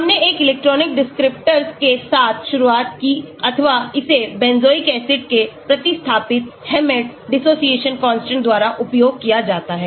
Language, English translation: Hindi, we started with an electronic descriptor or it is also called used by Hammett Dissociation constants of substituted benzoic acids